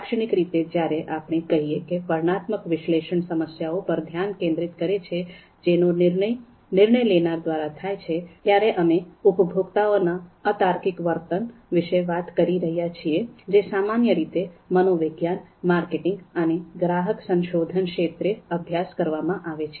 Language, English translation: Gujarati, So typically when we say that descriptive analysis focuses on the problems which are actually solved by decision makers, we are talking about the irrational behavior of the consumers, which are typically studied in the fields of psychology, marketing and consumer research